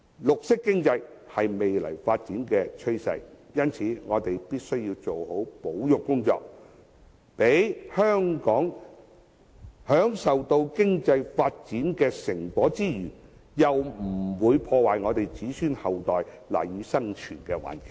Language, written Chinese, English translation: Cantonese, 綠色經濟是未來發展的趨勢，我們必須做好保育工作，讓香港享受經濟發展的成果之餘，又不會破壞我們子孫後代賴以生存的環境。, Green economy is the future trend of development and hence we must make efforts to conserve our nature and environment so that while we can enjoy the fruit of economic development we will not destroy the environment that our future generations depend on for survival